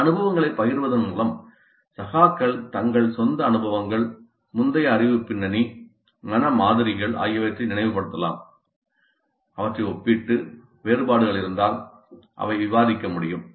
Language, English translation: Tamil, So by sharing these experiences, the peers can recall their own individual experiences, their own previous knowledge background, their own mental models, compare them and if there are differences they can discuss